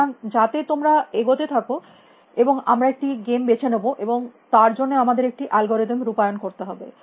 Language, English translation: Bengali, So, that you can get going, and we will decide which game and we have to implement an algorithm for it